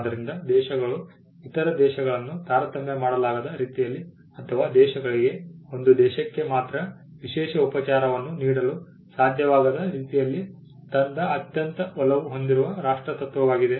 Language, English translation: Kannada, So, the most favoured nation principle brought in a way in which countries could not discriminate other countries or countries could not have a special treatment for one country alone